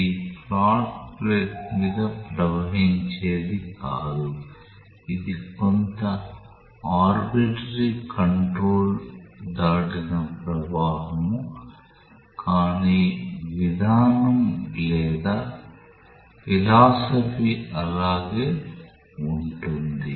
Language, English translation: Telugu, This is not flow over a flat plate, this is flow past some body of arbitrary control, but the policy or the philosophy remains the same